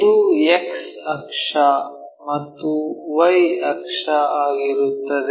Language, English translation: Kannada, This is the X axis, Y axis